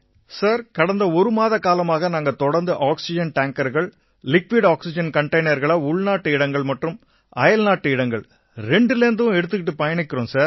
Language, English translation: Tamil, Sir, from the last one month we have been continuously lifting oxygen tankers and liquid oxygen containers from both domestic and international destinations, Sir